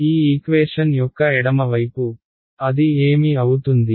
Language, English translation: Telugu, So, the left hand side of this equation, what does it become